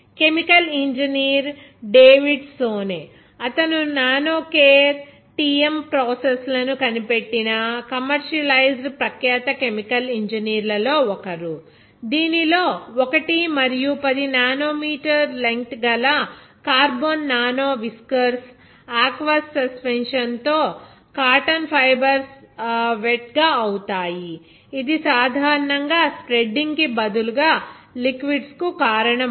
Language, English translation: Telugu, Chemical engineer David Soane, he is also one of the renowned chemical engineers who has invented and commercialized the nanocareTm processes in which cotton fibers are wet with an aqueous suspension of carbon nanowhiskers that are between 1 and 10 nm in length, it generally causes liquids to bead up instead of spreading there